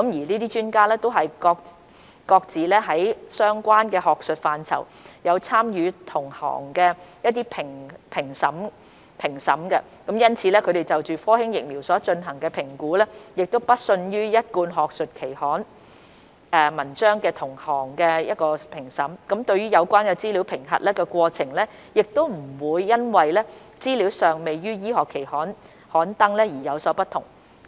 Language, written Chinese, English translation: Cantonese, 這些專家都是各自於相關學術範疇有參與同行評審的，因此他們就科興疫苗所進行的評估不遜於一貫學術期刊文章的同行評審，對有關資料的審核過程亦不會因為資料尚未於醫學期刊刊登而有所不同。, These experts have all participated in peer reviews in their respective academic fields . Their assessment conducted for the Sinovac vaccine is on par with the peer reviews normally conducted for academic journals and the assessment procedures for the relevant information are not different despite the fact that the information has not yet been published in medical journals